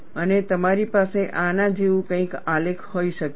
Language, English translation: Gujarati, And you could have a graph something like this